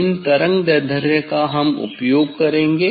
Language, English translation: Hindi, their wavelength is given here